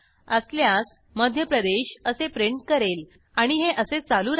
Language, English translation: Marathi, If it is so, it will print out Madhya Pradesh and so on